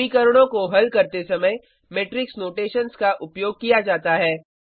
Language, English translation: Hindi, Matrix notations are used while solving equations